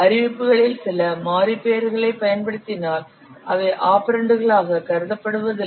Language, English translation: Tamil, If you are using some variable names in the declarations they are not considered as operands